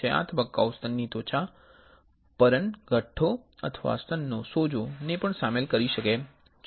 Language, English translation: Gujarati, This stage may also include lumps on the skin of the breast or swelling of the breast